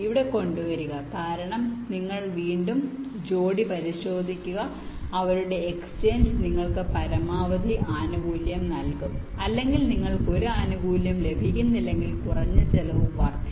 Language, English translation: Malayalam, bring g here, b, because here you again check the pair whose exchange will either give you the maximum benefit or, if you cant get a benefit, the minimum increase in cost